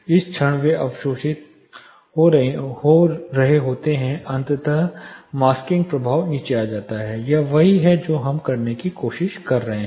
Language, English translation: Hindi, Movement they are getting absorbed then the masking effect eventually comes down, this is exactly what we are trying to do